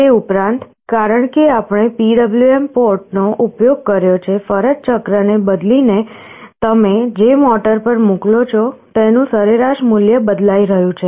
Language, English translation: Gujarati, Also because we have used the PWM port, by changing the duty cycle the average value of the control that you are sending to the motor is changing